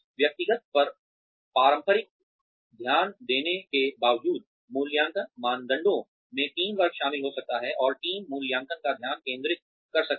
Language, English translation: Hindi, Despite the traditional focus on the individual, appraisal criteria can include teamwork, and the teams can be the focus of the appraisal